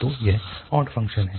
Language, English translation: Hindi, So that is the odd function